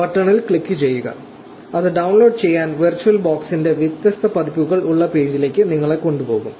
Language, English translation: Malayalam, Just click on the button and it will take you to the page where you have different versions of the virtual box to download